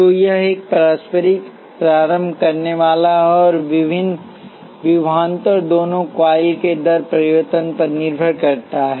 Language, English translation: Hindi, So, this the mutual inductor and the voltage depends on the rate change of both coils